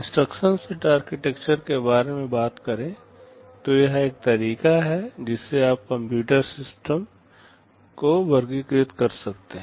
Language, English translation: Hindi, Talking about the instruction set architectures this is one way in which you can classify computer systems